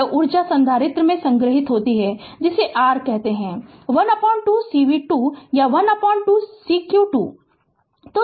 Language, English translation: Hindi, This energy stored in the capacitor that that is your what you call half cv square or half c q square right